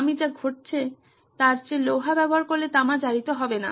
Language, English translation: Bengali, If I use iron than what is happening is there is no copper corrosion